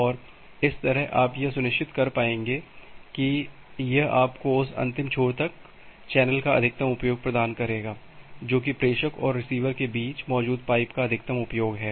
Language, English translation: Hindi, And that way you will be able to sure that well it will have, it will provide you maximum utilization of that end to end channel, the maximum utilization of the pipe which is there in between the sender and the receiver